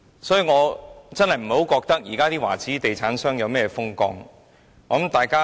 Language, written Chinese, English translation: Cantonese, 所以，我真的不認為現時華資地產商如何風光。, So I really do not think that Chinese property developers are very influential these days